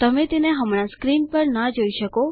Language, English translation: Gujarati, You cannot see it on the screen right now